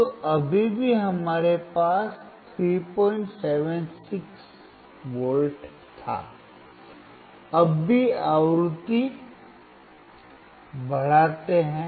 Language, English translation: Hindi, 76V so, let us still increase the frequency